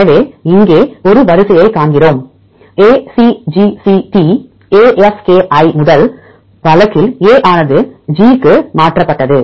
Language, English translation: Tamil, So, we see one sequence here ACGCT AFKI in the first case A is mutated to G